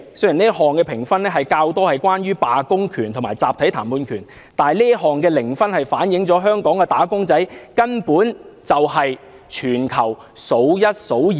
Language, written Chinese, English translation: Cantonese, 雖然這項評分較多是關於罷工權和集體談判權，但這項零分反映香港"打工仔"的慘況，根本是全球數一數二的。, While this ranking is mainly related to the right to strike and the right of collective bargaining the zero score reflects the plight of wage earners and Hong Kong is actually among the worst in the world